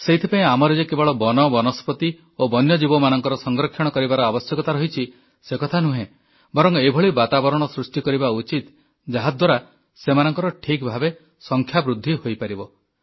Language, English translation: Odia, Therefore, we need to not only conserve our forests, flora and fauna, but also create an environment wherein they can flourish properly